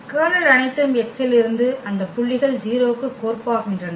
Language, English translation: Tamil, The kernel all are those points from X whose map is 0, they map to the 0